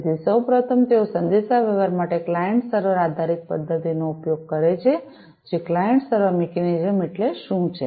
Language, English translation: Gujarati, So, first of all they use the client server based mechanism for communication, which is quite well known what is the client server mechanism